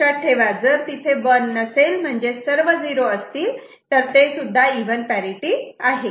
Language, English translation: Marathi, Please remember if there is no 1, all 0 that is also considered as even